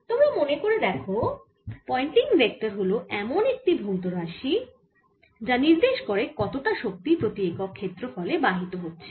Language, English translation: Bengali, as you recall, pointing vector actually is a physical quantity which indicates how much energy per unit area is flowing